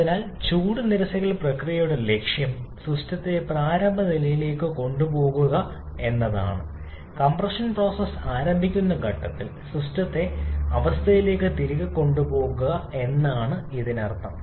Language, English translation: Malayalam, So, the objective of the heat rejection process is to take the system back to the initial state means, to take the system back to the state at the point of commencement of the compression process